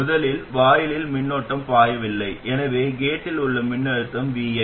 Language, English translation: Tamil, So now the gate voltage is not exactly the same as VI